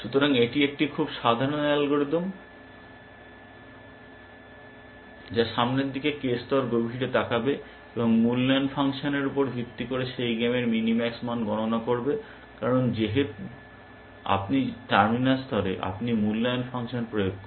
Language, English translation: Bengali, So, it is a very simple algorithm, which will look ahead k ply deep, and compute the minimax value of that game, based on the evaluation function, because you have at